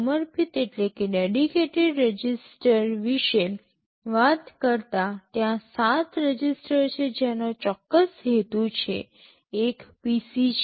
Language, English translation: Gujarati, Talking about dedicated registers, there are 7 registers which have specific purpose; one is the PC